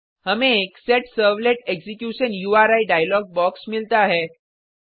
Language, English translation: Hindi, We get a Set Servlet Execution URI dialog box